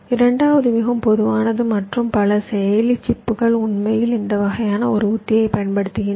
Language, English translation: Tamil, the second one is more general and many processor chips actually use this kind of a strategy